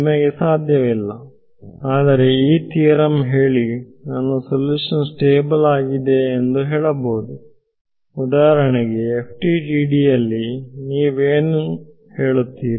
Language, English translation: Kannada, You cannot, but this theorem can be quoted in reference saying that my solution is stable for example, in FTDT what will you say